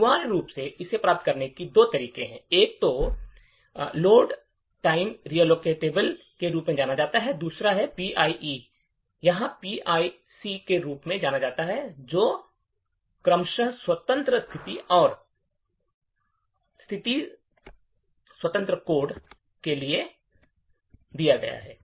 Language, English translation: Hindi, Essentially, there are two ways to achieve this, one is known as the Load Time Relocatable and the other one is known as the PIE or PIC which stands for Position Independent Executable and Position Independent Code respectively